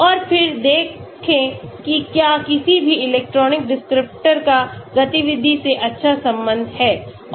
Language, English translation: Hindi, And then see whether any electronic descriptors have good correlation with activity